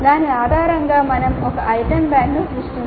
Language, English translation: Telugu, So the managing based on that we can create an item bank